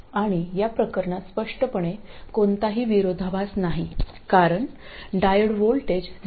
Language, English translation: Marathi, And clearly in this case there is no contradiction because the diode voltage is 0